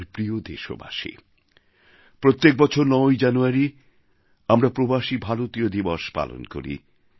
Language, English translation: Bengali, My dear countrymen, we celebrate Pravasi Bharatiya Divas on January 9 th every year